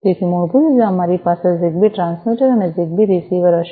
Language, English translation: Gujarati, So, basically we will have a ZigBee transmitter and a ZigBee receiver